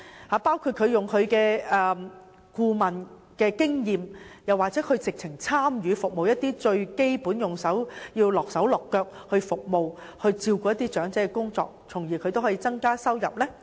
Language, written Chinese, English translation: Cantonese, 當中包括利用他們的顧問經驗，甚至親自參與最基本的服務和照顧長者的工作，從而增加收入。, Among others they can make use of their experience of working as a consultant or even personally take up the most basic duty of serving and taking care of elderly persons thereby increasing their income